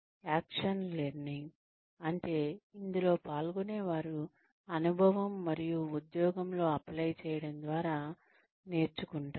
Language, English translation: Telugu, Action learning is, participants learned through experience, and application on the job